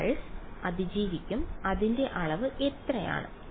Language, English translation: Malayalam, The mth pulse will survive what is the magnitude